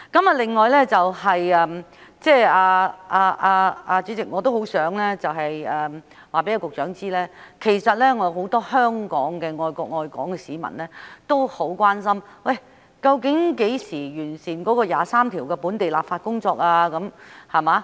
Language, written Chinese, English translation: Cantonese, 此外，主席，我也很想告訴局長，其實香港有很多愛國愛港的市民也很關心究竟何時完成《基本法》第二十三條的本地立法工作？, Moreover President I would also like to tell the Secretary that many people in Hong Kong who love the country and love Hong Kong are also very concerned about when the enactment of local legislation on Article 23 of the Basic Law will be completed